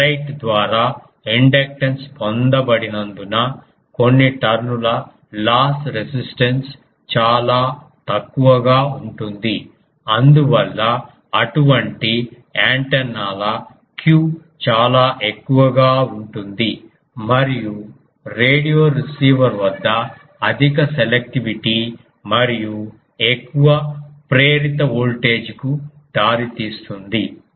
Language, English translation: Telugu, Because inductance is obtained by ferrite the loss resistance of few tones is quite small thus the q of such antennas is quite high and results in high selectivity and greater induced voltage at the radio receiver